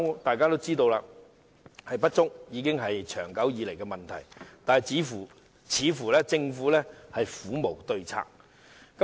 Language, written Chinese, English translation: Cantonese, 大家均知道，醫療人手不足已是存在已久的問題，但政府似乎苦無對策。, We all know that insufficient health care manpower has been a long - standing issue but the Government seems to have no solution to it